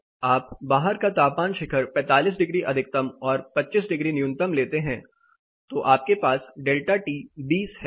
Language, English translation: Hindi, You take the outside peak say 45 degrees maximum 25 degrees is minimum, so you have a delta T of 20